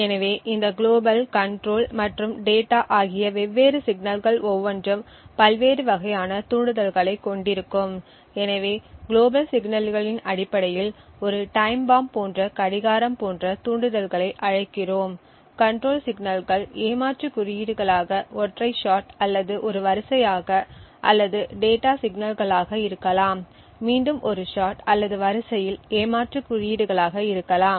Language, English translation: Tamil, So each of these different signals global, control and data would have different types of triggers so we call the triggers based on the global signals such as a clock as a ticking time bomb, control signals could be cheat codes which are single shot or in a sequence or data signals could again be cheat codes in a single shot or sequence